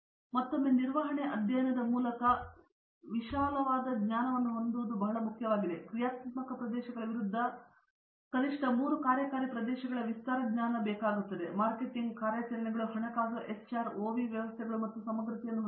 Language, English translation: Kannada, Now, again from management studies it’s very important to have a breadth knowledge also, breadth knowledge of at least three of the functional areas against the functional areas are marketing, operations, finance, HR, OV systems and integrative